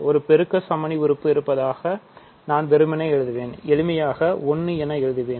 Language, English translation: Tamil, So, I will simply write that there is a multiplicative identity, simply 1